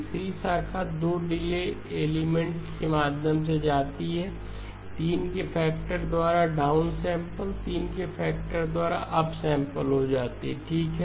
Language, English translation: Hindi, The third branch goes through 2 delay elements, down sample by a factor of 3, up sample by a factor of 3 goes out okay